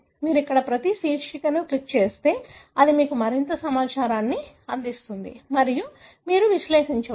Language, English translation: Telugu, So, if you click each one of the heading here, it will give you more information and you can analyse